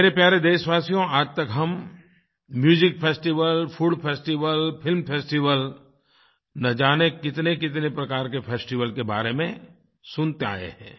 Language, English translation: Hindi, My dear countrymen, till date, we have been hearing about the myriad types of festivals be it music festivals, food festivals, film festivals and many other kinds of festivals